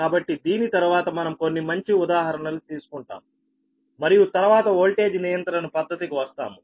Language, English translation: Telugu, so after this we will take few good examples, right, we will take few good examples, and then we will come to the method of voltage control, right